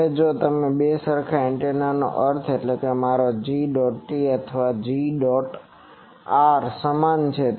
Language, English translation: Gujarati, Now if two identical antenna means my G ot and G or are same